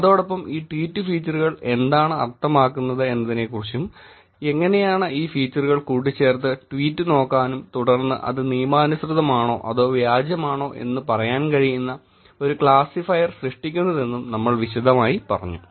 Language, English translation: Malayalam, And then, we later looked at different features that are available in tweets particularly user features and that tweet features and we tell detail about what these features mean, how these features can be put together to create a classifier which can look at tweet and then say that whether it is legitimate or fake tweet